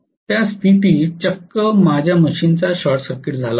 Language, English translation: Marathi, Under that condition itself had a short circuited my machine